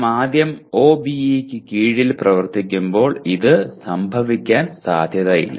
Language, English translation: Malayalam, This is unlikely to happen when we first operate under the OBE